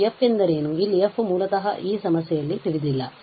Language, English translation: Kannada, And the question is what is f f is unknown basically in this problem